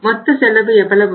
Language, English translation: Tamil, So the total cost becomes how much